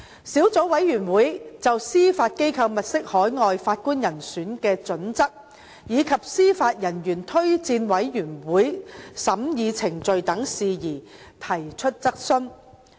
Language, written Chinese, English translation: Cantonese, 小組委員會亦就司法機構物色海外法官人選的準則，以及司法人員推薦委員會的審議程序等事宜提出質詢。, The Subcommittee has also asked questions on issues such as the Judiciarys criteria of identifying overseas Judges and the vetting process of JORC